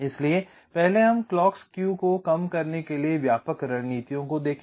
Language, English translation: Hindi, so first we look at the broad strategies to reduce the clocks skew